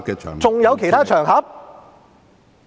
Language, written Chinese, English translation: Cantonese, 還有其他場合嗎？, Are there really other occasions?